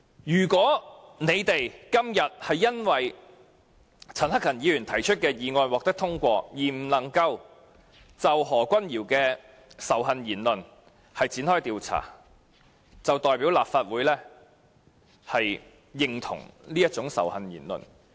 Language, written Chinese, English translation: Cantonese, 如果今天陳克勤議員提出的議案獲得通過，我們無法就何君堯議員的仇恨言論展開調查，便代表立法會也認同這種仇恨言論。, Upon the passage of the motion moved by Mr CHAN Hak - kan today we will not be able to inquire into matters relating to Dr Junius HOs hate speech thus implying that the Legislative Council also agrees with what he has said in his speech